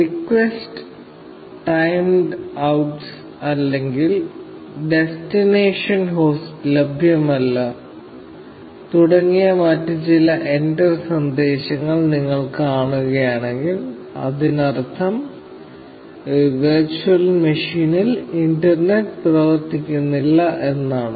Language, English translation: Malayalam, If you see some other error messages, like request timed out, or destination host unreachable, that means that, the internet is not working on this virtual machine